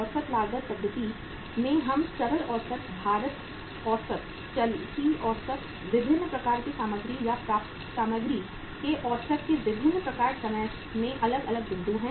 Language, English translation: Hindi, In the average cost method we take the simple average, weighted average, moving average, different type of the averages of the different types of materials or materials acquired are the different points in time